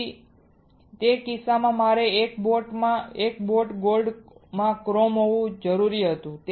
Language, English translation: Gujarati, So, in that case I had to have chrome in one boat gold in one boat